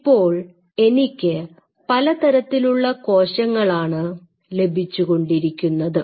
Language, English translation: Malayalam, Now putting it now I am getting cells of these kinds